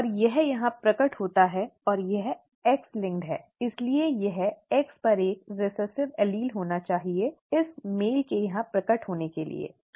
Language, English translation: Hindi, And this is manifested here and it is X linked therefore this has to have a recessive allele on the X for it to be manifest in this male here, okay